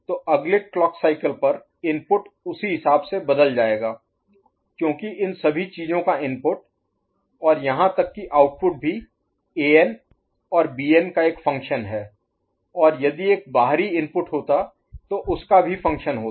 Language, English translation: Hindi, So at the next clock cycle, inputs will get changed accordingly because the inputs to all these things and even the output is a function of A and B and had there been an external input so is a function of that